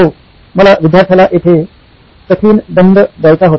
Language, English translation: Marathi, Yes, I wanted to give the student a hard time